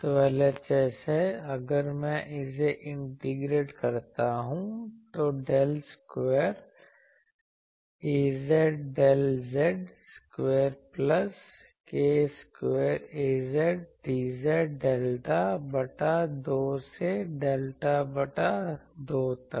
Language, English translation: Hindi, So, LHS is I can say that if I integrate it, then del square Az del z square plus k square Az sorry plus k Az dz minus delta by 2 to delta by 2